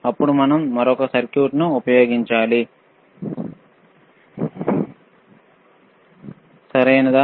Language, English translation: Telugu, Then we have to use another equip another circuit, right